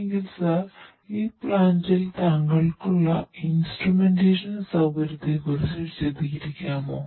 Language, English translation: Malayalam, So, sir could you please explain about the instrumentation facility that you have in this plant